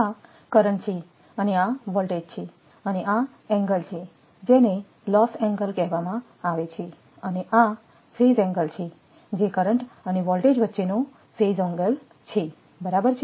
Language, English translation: Gujarati, This is the current and this is the voltage and this is your this angle it is called the loss angle and this is your phase angle that is the phase angle between current and voltage right